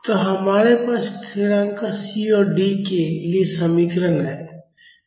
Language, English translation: Hindi, So, we have the expressions for the constants C and D